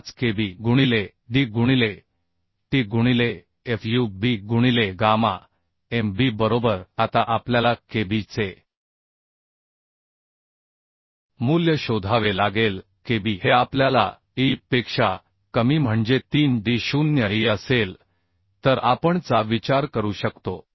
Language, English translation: Marathi, 5 Kb into d into t into fub by gamma mb right Now we have to find out the Kb value Kb will be we know lesser of e by 3d0 e we can consider 1